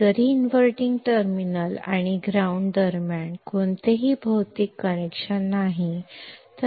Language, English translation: Marathi, Though there is no physical connection between the inverting terminal and the ground